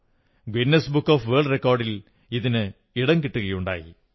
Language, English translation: Malayalam, This effort also found a mention in the Guinness book of World Records